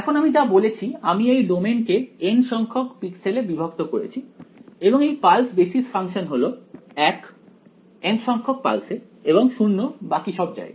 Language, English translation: Bengali, So, whatever I said I have divided this domain into N capital N pixels and this pulse basis function is 1 in the n th pulse and 0 everywhere else right